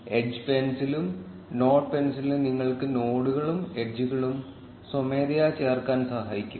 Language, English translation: Malayalam, The edge pencil and the node pencil can also help you add nodes and edges manually